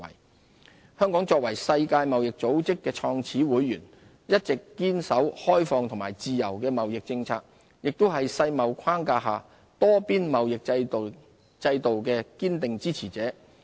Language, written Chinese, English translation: Cantonese, 自由貿易協定香港作為世界貿易組織的創始會員，一直堅守開放和自由的貿易政策，亦是世貿框架下多邊貿易制度的堅定支持者。, As a founding member of the World Trade Organization WTO Hong Kong has always been a staunch supporter of the multilateral trading system under the auspices of WTO upholding the policy of open and free trade